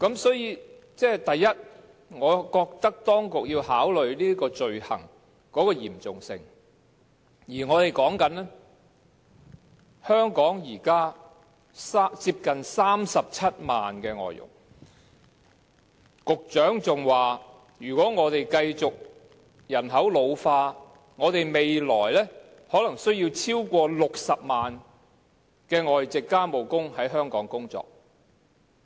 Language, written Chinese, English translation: Cantonese, 所以，第一，我覺得當局要考慮罪行的嚴重性，而香港現時有接近37萬名外籍家庭傭工，局長還說如果本港人口繼續老化，未來可能需要超過60萬名外傭在香港工作。, Firstly I think that the authorities must consider the gravity of the offences . Nearly 370 000 foreign domestic helpers are currently working in Hong Kong . The Secretary has added that the number of foreign domestic helpers working in Hong Kong in the future might even exceed 600 000 should the ageing of the population of Hong Kong continue